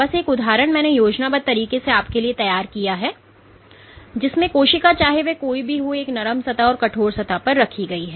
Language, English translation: Hindi, Just an example I have drawn this schematic in which you have the same cell whatever be it placed on a soft substrate versus on a stiff substrate